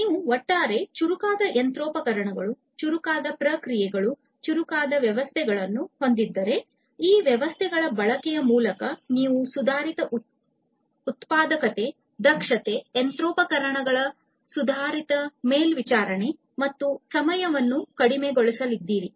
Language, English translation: Kannada, So, if you have smarter machineries, smarter processes, smarter systems overall, it is quite likely through the use of these systems you are going to have improved productivity, efficiency, you know, improved monitoring of this machinery, reducing the down time and so on